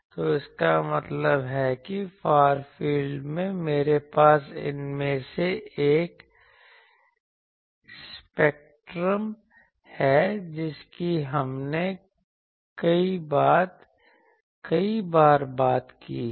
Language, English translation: Hindi, So that means, in the far field I have a spectrum of these that we have talked many times